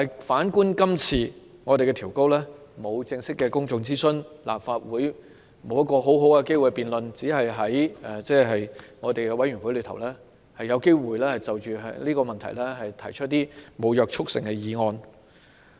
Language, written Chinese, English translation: Cantonese, 反觀今次調高門檻，並沒有正式進行公眾諮詢，立法會沒有機會好好辯論，只能在委員會就這項議題提出沒有約束力的議案。, On the contrary the Government raises the threshold this time around without conducting any public consultations officially . The Legislative Council has no chance to debate it thoroughly and can only propose non - binding motions on this issue in committees